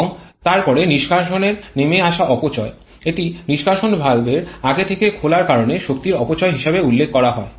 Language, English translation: Bengali, And then exhaust blowdown loss it is referred to as the energy waste because of early opening of the exhaust valve